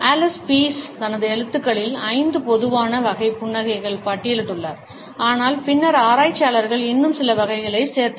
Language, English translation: Tamil, Allan Pease, in his writings has listed 5 common types of a smiles, but later on researchers added some more types